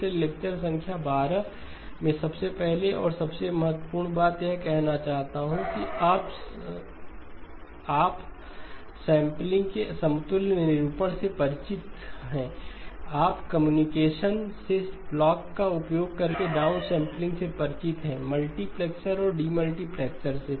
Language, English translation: Hindi, So lecture number 12, I would like to first and foremost introduce you to an equivalent representation of upsampling, downsampling using blocks that you are familiar with from communications, multiplexer and the demultiplexer